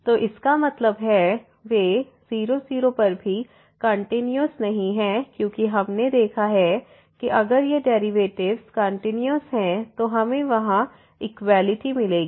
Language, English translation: Hindi, So that means, they are not continuous also at 0 0 because we have seen if the derivatives these derivatives are continuous then we will get the equality there